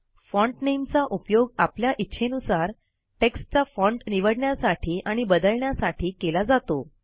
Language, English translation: Marathi, Font Name is used to select and change the type of font you wish to type your text in